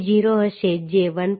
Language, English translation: Gujarati, 5d0 that is 1